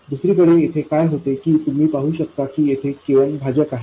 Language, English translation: Marathi, On the other hand, what happens, you can see that K and is in the denominator here